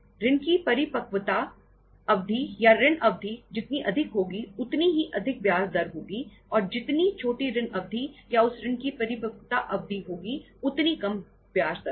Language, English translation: Hindi, Longer the maturity period or duration of the loan, higher would be the interest rate and shorter is the duration of the loan or the maturity period of that loan, lesser will be the interest rate